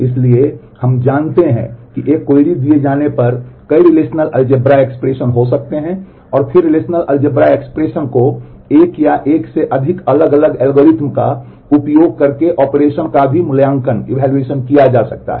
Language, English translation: Hindi, So, we know that given a query there could be multiple relational algebra expressions and then the relational algebra expression the operations can be evaluated also in one of the by using one or more different algorithms